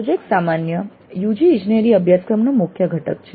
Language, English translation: Gujarati, Projects are key components of a typical UG engineering curriculum